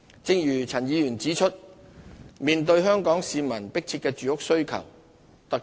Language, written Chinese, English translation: Cantonese, 正如陳議員指出，香港市民有迫切的住屋需求。, As Mr CHAN has pointed out Hong Kong people have urgent housing needs